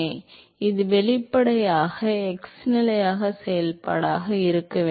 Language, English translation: Tamil, So, this obviously, has to be a function of x position